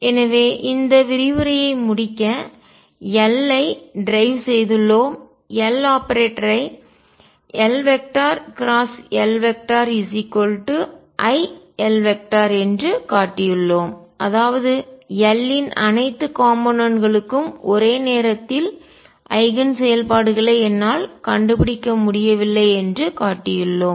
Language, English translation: Tamil, So, just to conclude this lecture what we have is we have shown derive the L, L operator that we have shown that L cross L is i L and that means, that I cannot find simultaneous eigen functions for all components of L